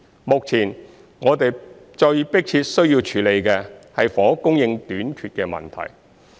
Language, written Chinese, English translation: Cantonese, 目前，我們最迫切需要處理的是房屋供應短缺的問題。, At present the most pressing problem we need to address is the shortage of housing supply